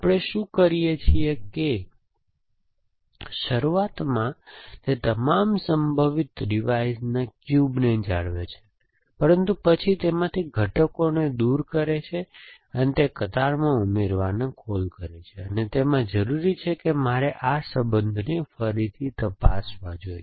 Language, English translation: Gujarati, What we does is that initially it maintain the cube of all possible revise called, but then it removes elements from the and it makes a call it add to the queue only if it beans it necessary that I need to check this relation again